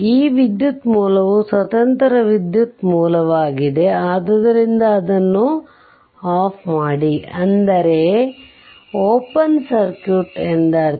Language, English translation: Kannada, Next this current source, it is independent current source; So, turned it off, but means it will be open circuit right